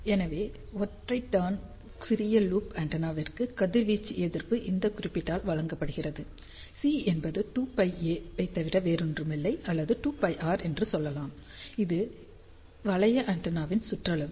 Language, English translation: Tamil, So, for single turn small loop antenna radiation resistance is given by this particular expression where C is nothing but 2 pi a or you can say 2 pi r which is circumference of the loop antenna